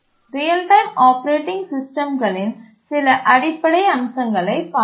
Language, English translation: Tamil, We just looked at some basic aspects of real time operating systems